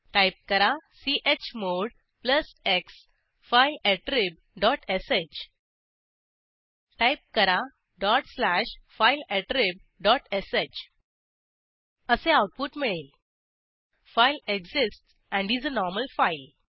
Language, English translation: Marathi, Type chmod plus x fileattrib dot sh Type: dot slash fileattrib dot sh The output is displayed as: File exists and is a normal file